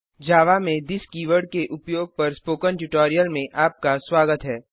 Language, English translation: Hindi, Welcome to the Spoken Tutorial on using this keyword in java